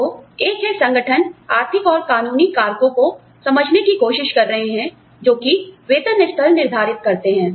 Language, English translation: Hindi, So, one is, organizations are increasingly trying to understand, economic and legal factors, that determine pay levels